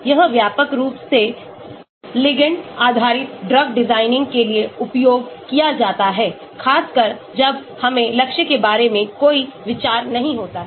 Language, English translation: Hindi, This is widely used for ligand based drug design especially when we do not have any idea about the target